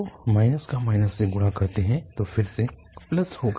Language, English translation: Hindi, So minus if multiplied by minus is again plus